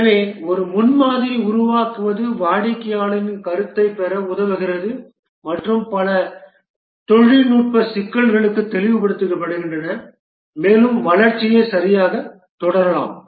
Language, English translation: Tamil, So, developing a prototype helps in getting the customer feedback and also many technical issues are clarified and the development can proceed correctly